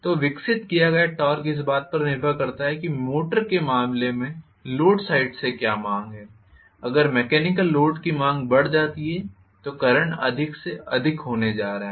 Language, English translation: Hindi, So the torque developed is going to depend upon what is the demand from the load side in the case of a motor, if the mechanical load demand increases I am going to have more and more current